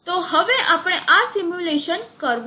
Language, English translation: Gujarati, So now we will go to performing this simulation